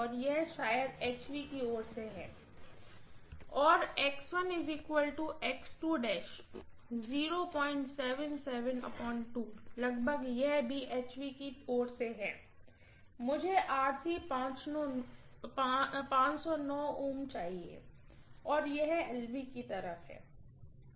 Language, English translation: Hindi, 77 by 2, approximately, this also from HV side and I am getting RC to be 509 ohms, this is from LV side